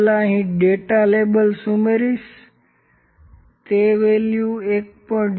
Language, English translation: Gujarati, First I will add the data labels here, the data labels this value is 1